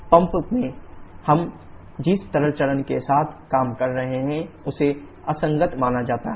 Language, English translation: Hindi, The liquid phases that we are dealing with in the pump are assumed to be incompressible